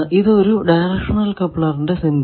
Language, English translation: Malayalam, Now, this is the symbol of directional coupler